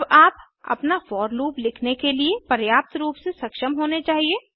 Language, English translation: Hindi, Now, you should be capable enough to write your own for loop